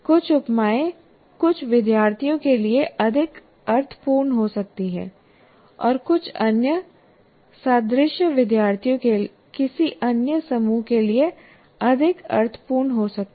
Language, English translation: Hindi, Some simile may make more sense to some students and some other analogy may make more sense to some other group of students